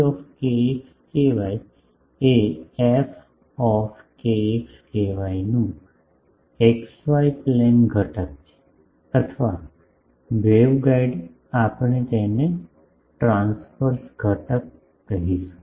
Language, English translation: Gujarati, ft kx ky is the xy plane component of f kx ky or in, waveguide we will call it transverse component